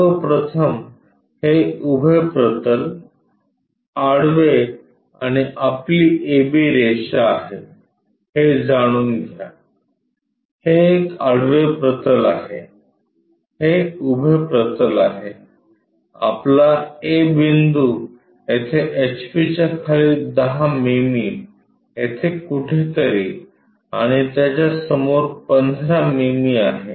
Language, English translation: Marathi, First of all have feeling this is the vertical plane, horizontal and your AB line, this is horizontal plane, this is vertical plane, your A point 10 mm below H P somewhere here and in front of it 15 mm